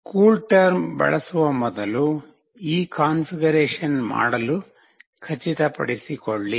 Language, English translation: Kannada, Make sure to do this configuration prior to using CoolTerm